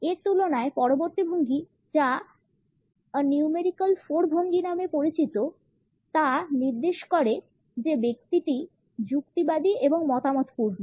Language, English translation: Bengali, In comparison to that the next posture which is known as a numerical 4 posture suggests that the person is argumentative and opinionated